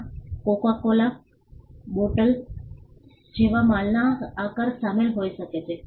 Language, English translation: Gujarati, It can include shape of goods like the Coca Cola bottle